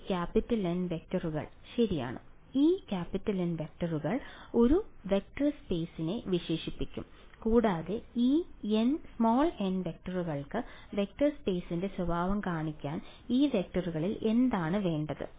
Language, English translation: Malayalam, This N vectors alright these N vectors will characterize a vector space and for these n vectors to characterize the vector space what is the requirement on these vectors